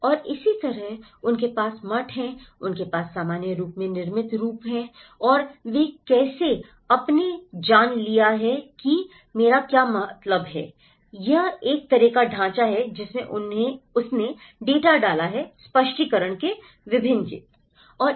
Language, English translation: Hindi, And similarly, they have the monasteries, they have the built form in general and how they have changed you know, what I mean, this is a kind of framework how she put the data in different pockets of explanation